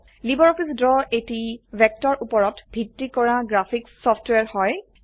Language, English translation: Assamese, LibreOffice Draw is a vector based graphics software